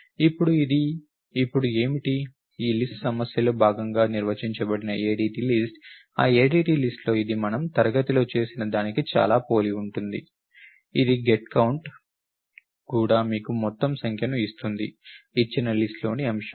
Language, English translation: Telugu, Now, what is this now this list is the ADT list that has been defined as part of the problem, in that ADT list it is very similar to what we did in class, except that it has also get count gives you the total number of elements in the given list